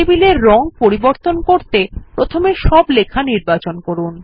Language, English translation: Bengali, To change the color of the table, first select all the text